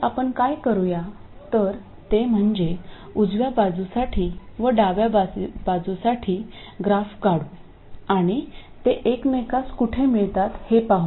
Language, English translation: Marathi, So what we do is we draw a graph for the right side and the left side and see where they meet